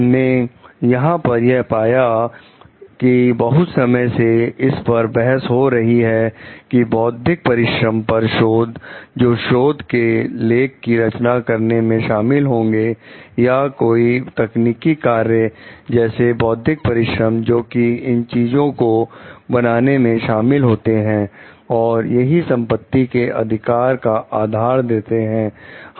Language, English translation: Hindi, What we find over here is like it has been long argued like, the research intellectual labour which is involved in a designing for a research artistic, or any technological work the intellectual labour, which is involved in the creation of these things provides the basis for property rights